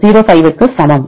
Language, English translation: Tamil, 05 into 20 that is equal to